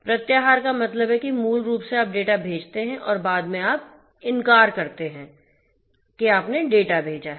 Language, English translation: Hindi, Repudiation; repudiation means like basically that you know so you send the data and later on, you deny that you have sent the data